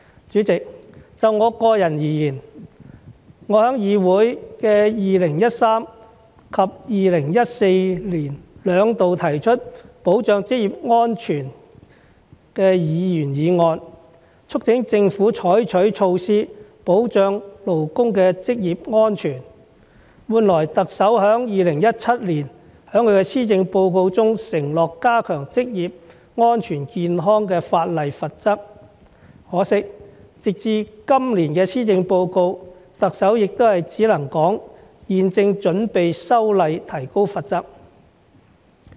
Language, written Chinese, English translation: Cantonese, 主席，就我個人而言，我在議會的2013年及2014年兩度提出保障職業安全的議員議案，促請政府採取措施保障勞工的職業安全，換來特首在2017年在施政報告中承諾加強職業安全健康法例的罰則，可惜直至今年的施政報告，特首也只是說現正準備修例提高罰則。, President for my individual work I have twice moved a Members motion respectively in 2013 and 2014 on ensuring occupational safety to urge the Government to adopt measures to protect the occupational safety of workers . In response the Chief Executive undertook in the Policy Address in 2017 to increase the penalties against breaches of occupational safety and health legislation . Regrettably as of the Policy Address this year the Chief Executive only said that preparatory work was being done on the legislative amendment to increase the penalties